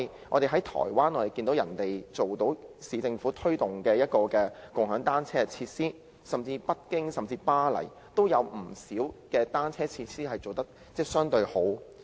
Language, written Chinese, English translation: Cantonese, 我們看到台灣可以做到由市政府推動共享單車設施，甚至北京和巴黎也有不少單車設施做得相對較好。, We note that in Taiwan bicycle - sharing facilities are promoted by municipal governments . In Beijing and Paris many good bicycle facilities are provided